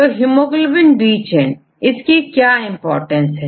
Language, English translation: Hindi, So, hemoglobin B chain what is the importance of hemoglobin B chain